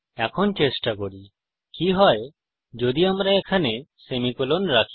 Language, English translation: Bengali, Let us try what happens if we put the semicolon here